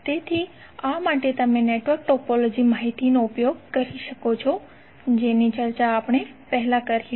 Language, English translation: Gujarati, So for this you can utilize the network topology information which we discussed previously